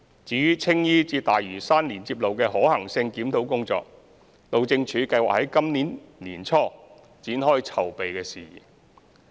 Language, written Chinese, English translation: Cantonese, 至於青衣至大嶼山連接路的可行性檢討工作，路政署計劃今年年初展開籌備事宜。, As for the review of the feasibility of the Tsing Yi - Lantau Link the Highways Department HyD plans to start the preparatory work early this year